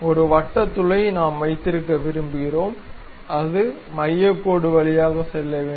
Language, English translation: Tamil, Maybe a circular hole we would like to have and it supposed to pass through center line